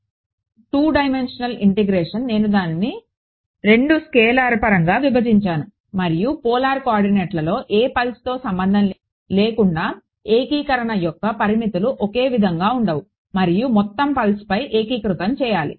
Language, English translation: Telugu, So, 2 dimensional integration I have broken it down into 2 scalar terms rho and theta in polar coordinates no the limits of integration has a same regardless of which pulse of and because have to integrate over the whole pulse